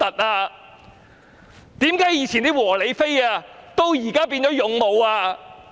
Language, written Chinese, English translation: Cantonese, 為何過去的"和理非"至今也變成"勇武"？, Why those peaceful rational and non - violent protesters in the past have now become valiant ones?